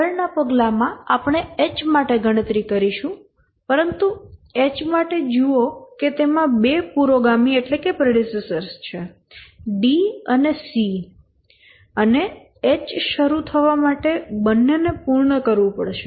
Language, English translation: Gujarati, But for H, just see that it has 2 predecessors, D and C, and both have to complete for H to start